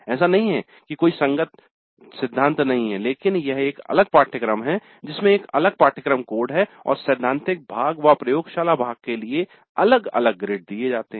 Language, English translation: Hindi, It's not that there is no corresponding theory but it is a distinct separate course with a separate course code and grades are awarded separately for the theory part and for the laboratory part